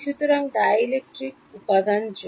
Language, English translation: Bengali, So, for dielectric material